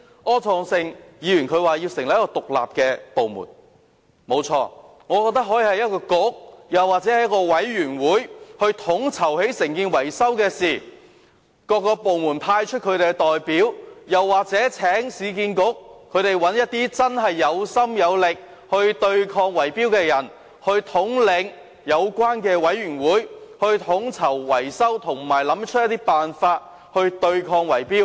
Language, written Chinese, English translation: Cantonese, 柯創盛議員剛才提出成立一個獨立部門，不錯，我認為可以由一個局或委員會統籌維修的工作，再由各個部門派出代表參與，又或可以請市區重建局找一些真正有心有力對抗圍標的人士統領有關的委員會，統籌維修工程及研究方法，對抗圍標。, Earlier on Mr Wilson OR proposed the establishment of an independent authority . Truly enough I think a bureau or a committee can be assigned to coordinate maintenance works and then there can be involvement by representatives from various departments or URA can be tasked to identify people who genuinely have both the will and the ability to combat bid - rigging to chair this committee responsible for coordinating maintenance works and looking into ways of combating bid - rigging